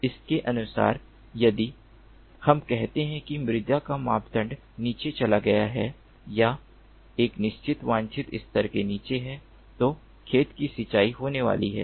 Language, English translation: Hindi, correspondingly, if, let us say, the soil parameters have gone down or is below a certain desired level, then the field is going to be irrigated